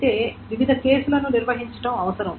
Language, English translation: Telugu, However, different cases need to be handled